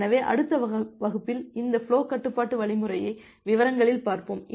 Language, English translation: Tamil, So, in the next class we will look into that flow control algorithm in details